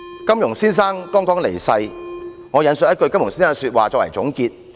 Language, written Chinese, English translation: Cantonese, 金庸先生剛離世，我引述他的一句說話作為總結。, Mr Jin Yong has just passed away and I would like to cite a quote of his in closing